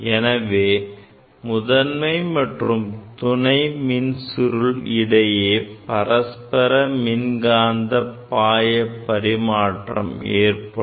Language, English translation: Tamil, So, basically between primary and secondary coil, there will be mutual exchange of flux